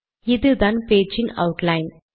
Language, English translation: Tamil, The outline of this talk is as follows